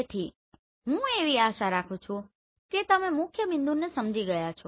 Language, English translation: Gujarati, So I hope you have understood the principal point